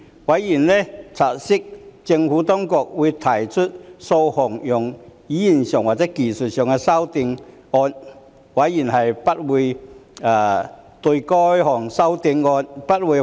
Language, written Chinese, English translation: Cantonese, 委員察悉政府當局會提出數項在用語上和技術上的修正案，委員不會反對該等修正案。, Members have noted that the Administration will propose a number of textual and technical amendments . Members have no objection to the amendments